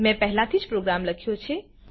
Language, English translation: Gujarati, I have already made the program